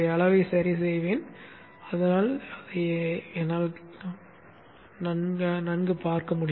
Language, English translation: Tamil, Let me adjust the size so that I will be able to see that